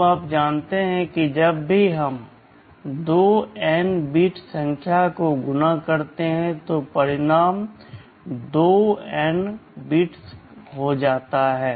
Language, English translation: Hindi, Now, you know whenever we multiply two n bit numbers the result can be 2n bits